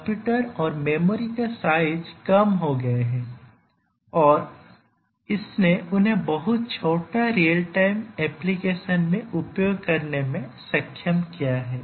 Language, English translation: Hindi, The size of computers and memory have really reduced and that has enabled them to be used in very very small real time applications